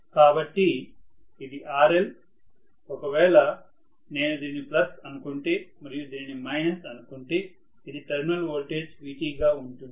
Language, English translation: Telugu, so this is RL, this is if I say this is plus and this is minus I am going to have this as Vt, the terminal voltage Right